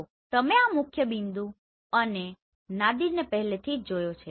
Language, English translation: Gujarati, So you have already seen this principal point and Nadir right